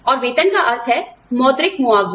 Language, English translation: Hindi, And, pay salary refers to the, monetary compensation